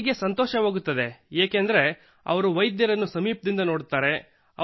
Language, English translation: Kannada, The patient likes it because he can see the doctor closely